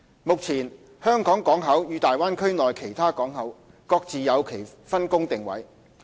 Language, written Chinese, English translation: Cantonese, 目前，香港港口與大灣區內其他港口各自有其分工定位。, At present HKP and the various ports in the Bay Area have their own distinctive roles and positioning